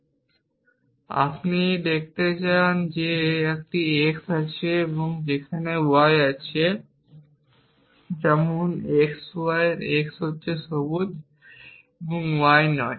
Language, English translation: Bengali, And you want to show that there exists an x there exists a y such that on x y and being x and not green y